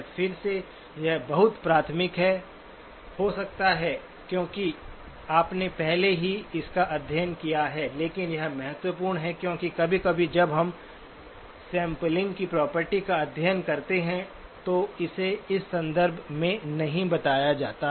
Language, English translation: Hindi, Again, this may be very elementary because you have already studied it but this is important because sometimes when you study the sampling property, it is not stated in terms of this